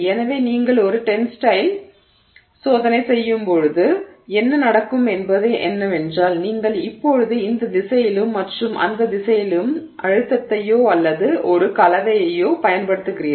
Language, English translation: Tamil, So, what would happen when you do a tensile test is that you are now applying a stress or a load in this direction and this direction